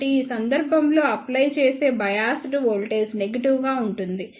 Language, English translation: Telugu, So, in this case the biased voltage applied will be negative